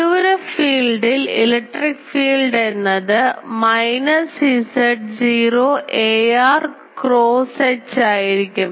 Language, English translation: Malayalam, So, electric field in the far field will be minus Z naught ar cross H